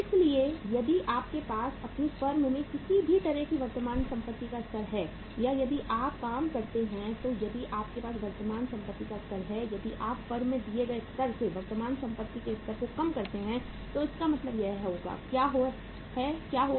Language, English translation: Hindi, So if you have a given level of current assets in your firm or in any firm if you work for if you have the given level of the current assets if you decrease the level of current assets from the given level in in the firm so it means what will happen